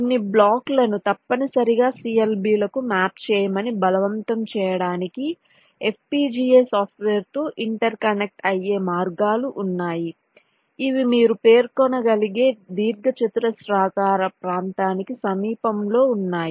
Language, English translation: Telugu, there are ways to inter connect with fpga software to force that certain blocks must be mapped to the clbs which are located in a close neighbourhood, within a rectangular region, those you can specify